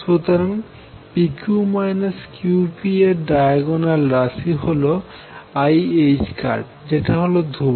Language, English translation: Bengali, So, the diagonal element of p q minus q p is i h cross is a constant